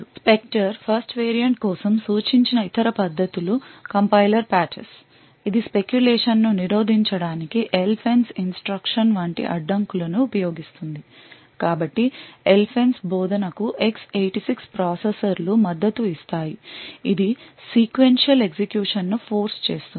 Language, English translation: Telugu, Other techniques where suggested for the Spectre first variant was compiler patches a which uses barriers such as the LFENCE instruction to prevent speculation so the LFENCE instruction is supported by X86 processors which forces sequential execution